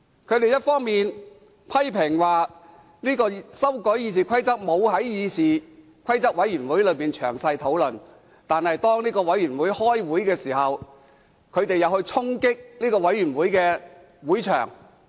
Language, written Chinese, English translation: Cantonese, 他們一方面批評修改《議事規則》的建議未有在議事規則委員會詳細討論，另一方面卻在該委員會舉行會議時衝擊會場。, On the one hand they criticized that the proposals on amending RoP have not been discussed in detail at CRoP yet on the other hand they stormed the meeting venue when a CRoP meeting was held